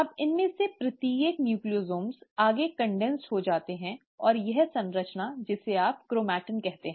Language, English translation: Hindi, Now each of these Nucleosomes get further condensed, and that structure is what you call as the ‘chromatin’